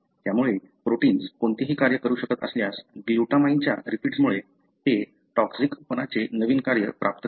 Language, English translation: Marathi, So, whatever protein function it is supposed to do, because of glutamine repeats, it gains a novel function that is toxicity